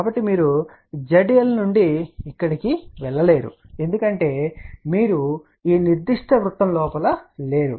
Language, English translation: Telugu, So, from Z L you cannot move in this here because you are not in this particular circle